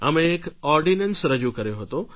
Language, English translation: Gujarati, We had issued an ordinance